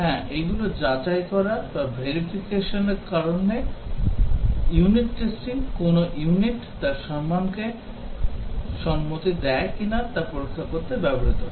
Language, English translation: Bengali, Yes, these are verification technique because unit testing is used to check whether a unit conforms to its design